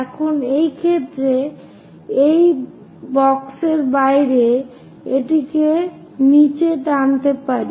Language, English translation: Bengali, Now, in this case, it is outside of the box, let us pull it down